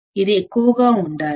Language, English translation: Telugu, It should be high